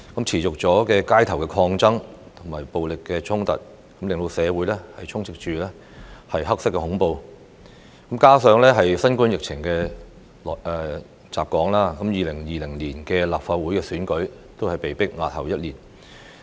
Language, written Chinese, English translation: Cantonese, 持續的街頭抗爭與暴力衝突，令社會充斥"黑色恐怖"，加上新冠疫情襲港 ，2020 年的立法會選舉被迫押後一年。, Society reeked of black terror as street protests violence and conflicts went on . Coupled with the outbreak of COVID - 19 in Hong Kong the 2020 Legislative Council General Election had to be postponed for one year